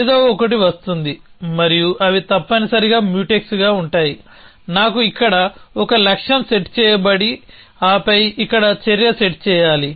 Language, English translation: Telugu, So, something will come and they will be Mutex essentially, I need a goal set here and then an action set here